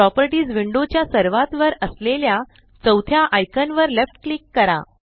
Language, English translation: Marathi, Left click the fourth icon at the top row of the Properties window